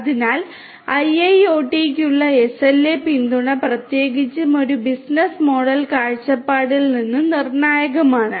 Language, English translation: Malayalam, So, SLA support for IIoT is crucial particularly from a business model point of view